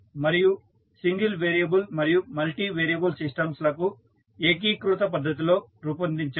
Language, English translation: Telugu, And single variable and multivariable systems can be modelled in a unified manner